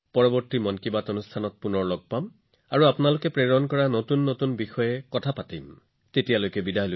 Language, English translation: Assamese, Next time in 'Mann Ki Baat' we will meet again and discuss some more new topics sent by you till then let's bid goodbye